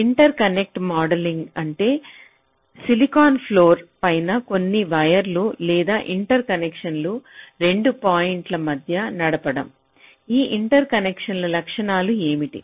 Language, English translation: Telugu, now interconnect modeling what it means, that when some wires or interconnections are run between two points on the silicon floor, so what are the properties of those interconnections